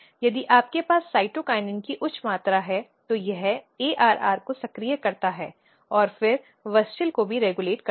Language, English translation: Hindi, If you have high amount of cytokinin, it activates ARR and then WUSCHEL also regulate